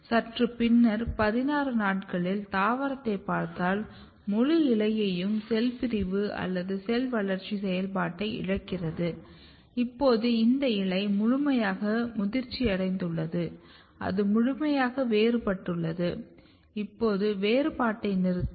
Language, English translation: Tamil, Slightly more later if you look 16 days old plant the entire leaf they lack the cell division or cell growth activity; which suggest that now this leaf is fully mature it is fully differentiated now it will stop the property of differentiation